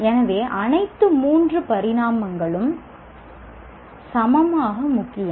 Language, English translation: Tamil, So, all the three dimensions are equally important